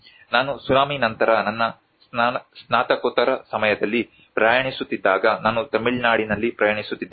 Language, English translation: Kannada, When I was traveling during my masters time immediately after the tsunami, I was travelling in Tamil Nadu